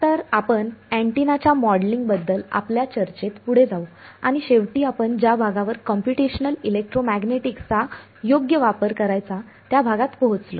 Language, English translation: Marathi, Right so, we will a continue with our discussion of the modeling of an antenna and we finally come to the part where we get to use Computational Electromagnetics right